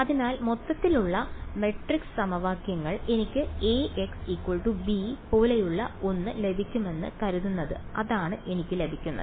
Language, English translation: Malayalam, So, overall matrix equations supposing I get something like A x is equal to b that is what I get